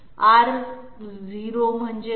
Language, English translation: Marathi, What is R0